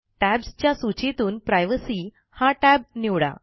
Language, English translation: Marathi, Choose the Privacy tab from the list of Main menu tabs